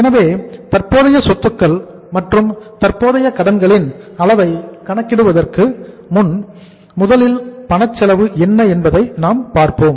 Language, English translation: Tamil, So before calculating the level of current assets and current liabilities, let us first work out what is the cash cost